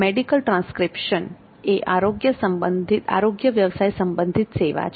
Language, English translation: Gujarati, So medical transcription service is an allied health profession